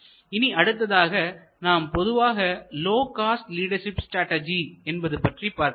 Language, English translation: Tamil, So, let us look at first the overall low cost leadership strategy